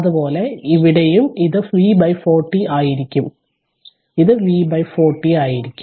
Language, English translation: Malayalam, Similarly here also it will be V by 40 this will be V by 40 right